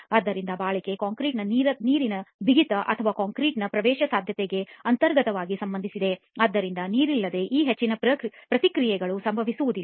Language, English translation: Kannada, So durability is intrinsically related to the water tightness of the concrete or the permeability of the concrete, so without water most of these reactions do not occur